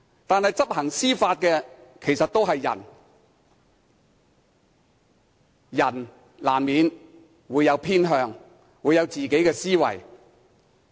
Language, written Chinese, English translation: Cantonese, 但是，執行法例的其實都是人，人難免會有偏向，會有自己的思維。, It is inevitable for human beings to have preferences and their own way of thinking